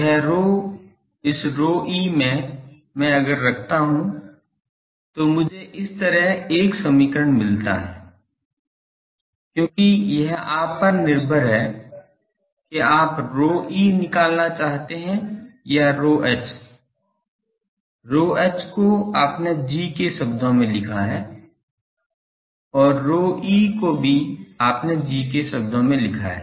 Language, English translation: Hindi, This rho this rho e o h and in this if I put I get an equation like this, because here you that is up to you find out either for rho e or rho h you rho h you express in terms of G, and rho e also you express in terms of G